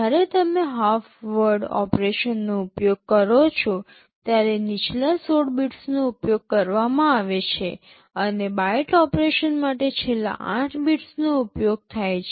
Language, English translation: Gujarati, When you are using half word operations, the lower 16 bits is used, and for byte operations the last 8 bits are used